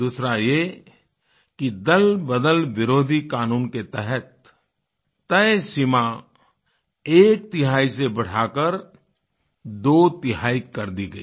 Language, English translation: Hindi, And the second one is that the limit under the Anti Defection Law was enhanced from onethirds to twothirds